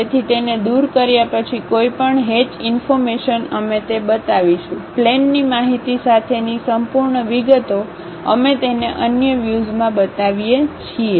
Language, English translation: Gujarati, So, any hatched details after removing, we will show it; the complete details with the plane information we show it in other view